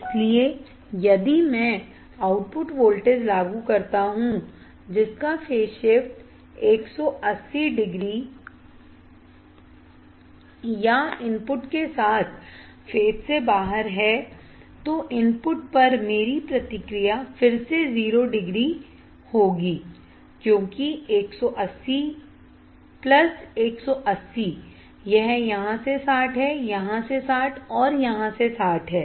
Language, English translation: Hindi, So, if I apply output voltage which is 180 degree of phase shift or out of phase with input then my feedback to the input will again be a 0 degree because 180 plus 180, this is 60 from here, 60 from here 60 from here